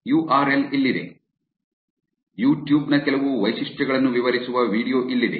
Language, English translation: Kannada, Here is a URL, here is a video, which describes some features of YouTube